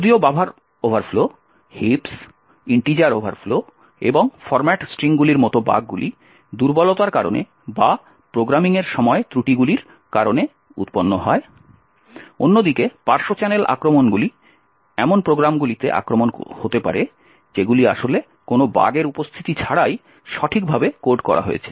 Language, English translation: Bengali, While these like the bugs buffer overflows, heaps, integer overflows and format strings are due to vulnerabilities or due to flaws during the programming, side channel attacks on the other hand, could be attacks on programs which are actually coded correctly without any presence of any bug